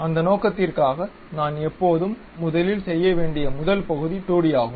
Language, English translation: Tamil, For that purpose what I have to do is the first always the first part is a 2D one